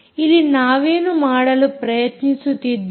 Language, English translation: Kannada, so what are we trying to do here